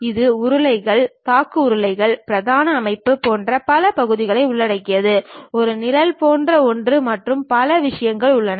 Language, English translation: Tamil, It includes many parts like rollers, bearings, main structure, there is something like a shade and many things